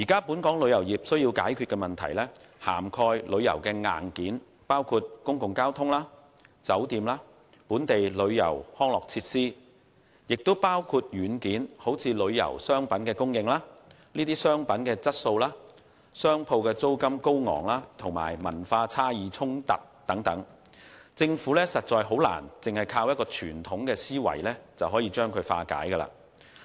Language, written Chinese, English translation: Cantonese, 本港旅遊業需要解決的問題，涵蓋旅遊硬件，包括公共交通、酒店、本地旅遊及康樂設施等；也包括軟件，例如旅遊商品供應、商品質素、高昂商鋪租金，以及文化差異衝突等，政府難以單靠傳統思維化解。, The problems of the tourism industry to be addressed cover both tourism hardware including public transport hotels local tourism and recreational facilities; as well as software including the supply of tourism products product quality high shop rentals as well as cultural differences and conflicts . It is difficult for the Government to resolve these issues simply with a conventional mindset